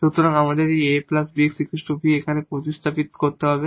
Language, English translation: Bengali, So, we need to substitute this a plus bx as a new variable v here